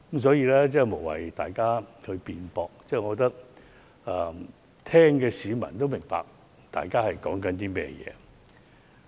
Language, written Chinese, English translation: Cantonese, 所以，我覺得大家無謂爭拗，聆聽的市民自會明白大家說的是甚麼。, So I think we should stop arguing . People who are listening to our debate will know our views